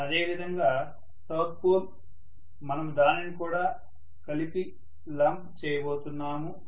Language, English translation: Telugu, Similarly, South pole, we are going to lump it together